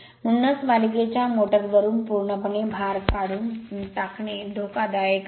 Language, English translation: Marathi, Therefore, it is thus dangerous to remove the load completely from the series motor